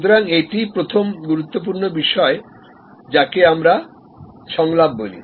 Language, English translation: Bengali, So, that is the first important point what we call dialogue